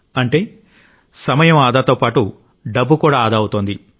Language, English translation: Telugu, That is saving money as well as time